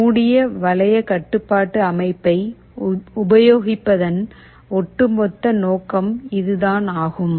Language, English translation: Tamil, This is the overall purpose of having a closed loop control system